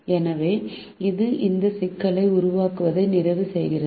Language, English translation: Tamil, so this completes the formulation of this problem